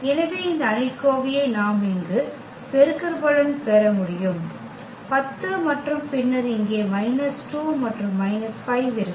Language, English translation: Tamil, So, this determinant we have to solve which we can make this product here, the 10 and then we will have here minus 2 and minus 5